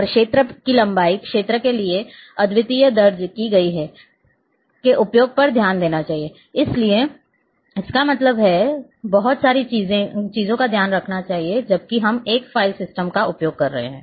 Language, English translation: Hindi, And attention to length of fields and use of unique recorded in; that means, there are lot of things lot of things have to be taking take care while if we are using a file system